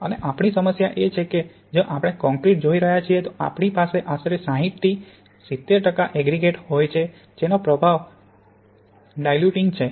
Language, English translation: Gujarati, And the problem we have that if we are looking in concrete then we can have about sixty to seventy percent of aggregate and that’s just the diluting effect